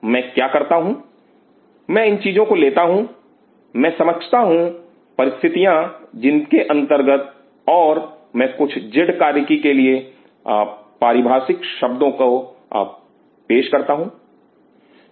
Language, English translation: Hindi, What I do I take out these things, I understand the condition under which and I produce terms of antibodies for some z function